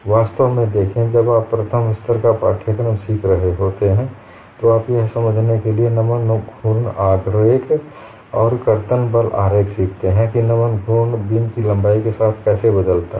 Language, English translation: Hindi, See in fact, when you are learning a first level course, you learn the bending moment diagram and shear force diagram to understand how the bending moment changes along the length of the beam